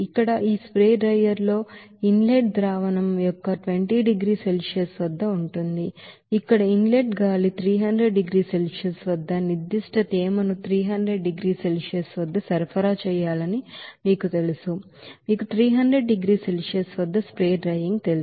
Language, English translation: Telugu, Here this spray drier where inlet solution at 20 degrees Celsius, where inlet air containing you know that certain moisture at 300 degrees Celsius to be supplied to that you know spray drier at 300 degrees Celsius